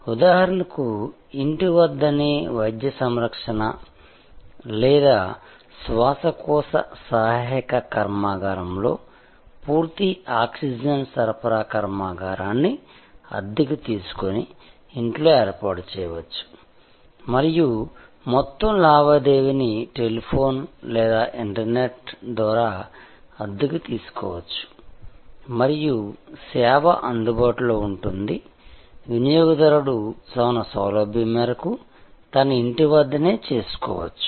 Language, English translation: Telugu, Like for example, at home medical care or a respiratory assistance plant, a full oxygen supply plant can be taken on rent and installed at home and the whole transaction can be done are for renting over telephone or over the internet and the service will be available to the consumer at his or her home at his or her convenience